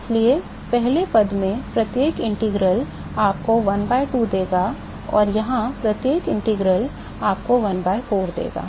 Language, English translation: Hindi, So, every integral in the first term will give you a 1 by 2 and every integral here will give you a 1 by 4